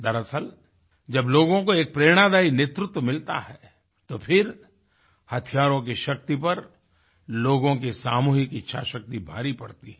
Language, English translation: Hindi, The fact is, when people are blessed with exemplary leadership, the might of arms pales in comparison to the collective will power of the people